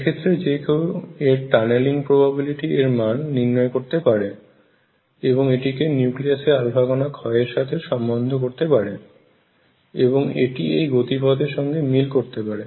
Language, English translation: Bengali, And then one can calculate this tunneling probability and relate that to the decay of nuclear through alpha particle decay and that fitted the curves